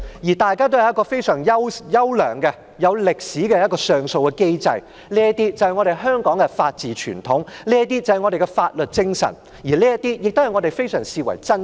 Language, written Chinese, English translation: Cantonese, 香港具有非常優良、歷史悠久的上訴機制，這反映香港的法治傳統和法律精神，是我們珍視的東西。, We treasure Hong Kongs well - established appeal mechanism which reflects its legal tradition and the rule of law